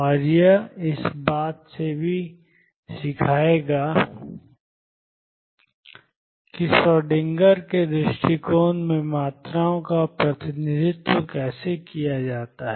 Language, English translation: Hindi, And this will also teaches about how quantities are represented in Schrodinger’s approach